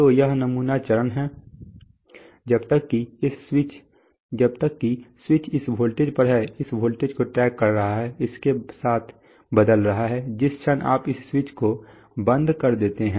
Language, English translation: Hindi, So that is the sampling phase as long as the switch is on this voltage is tracking this voltage, changing along with that, the moment you turn this switch off